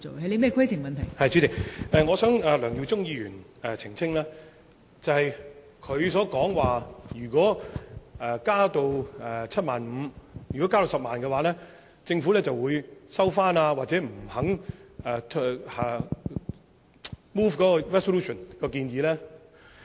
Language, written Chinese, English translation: Cantonese, 代理主席，我希望向梁耀忠議員澄清，他說，如果我們要求將限額增加到10萬元，政府會收回議案，或者不肯動議擬議決議案。, Deputy President I wish to clarify to Mr LEUNG Yiu - chung . He said if we requested to raise the limit to 100,000 the Government would withdraw the motion or it would refuse to move the proposed resolution